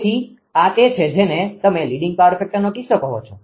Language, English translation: Gujarati, So, and this is the your what you call that your leading power factor case